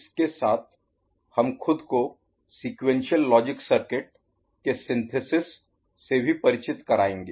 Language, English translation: Hindi, In course of that, we shall also acquaint ourselves with synthesis of sequential logic circuit